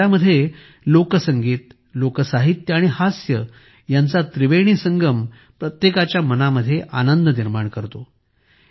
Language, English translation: Marathi, In this Dairo, the trinity of folk music, folk literature and humour fills everyone's mind with joy